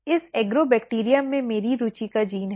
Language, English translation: Hindi, This Agrobacterium has my gene of interest